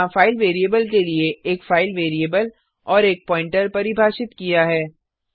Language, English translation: Hindi, Here, a file variable and a pointer to the file variable is defined